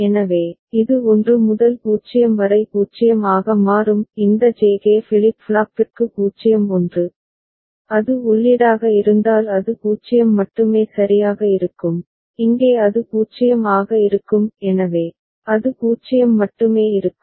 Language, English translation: Tamil, So, it will become 0 from 1 to 0; 0 1 for this J K flip flop 0 1, if it is the input then it will be 0 only right and here also it is 0 so, it will be 0 only